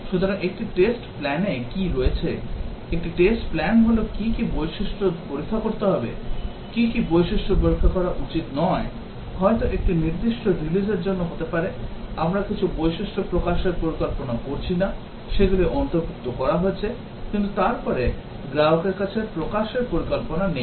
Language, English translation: Bengali, So, what does a test plan contain, a test plan is what are the features to be tested, what are the features not to be tested, may be for a specific release, we are not planning to release some features, they have been included, but then not planning to release to the customer